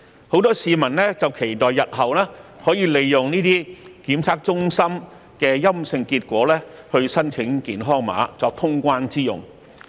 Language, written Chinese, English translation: Cantonese, 很多市民期待日後可以利用這些檢測中心提供的陰性檢測結果申請健康碼，作過關之用。, Many people hope to make use of the negative test results obtained from these testing centres to apply for health code to return to the Mainland